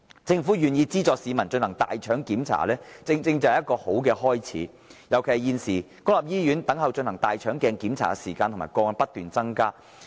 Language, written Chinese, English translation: Cantonese, 政府願意資助市民進行大腸鏡檢查，正正便是好的開始，尤其現時在公立醫院輪候進行大腸鏡檢查的時間和個案不斷增加。, The Governments willingness to subsidize members of the public to undergo colonoscopy examination is precisely a good start . In particular the waiting time for and number of cases of receiving colonoscopy examination are on the rise